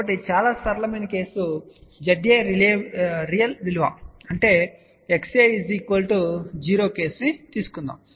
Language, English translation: Telugu, So, just let us take a very simple case of if Z A is real value ; that means, X A is equal to 0